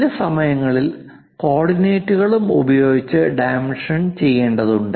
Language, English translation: Malayalam, Sometimes, we might require to use dimensioning by coordinates also